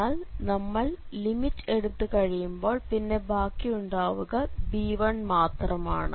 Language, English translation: Malayalam, But when we take the limit this portion will become 0 and here we will get just b1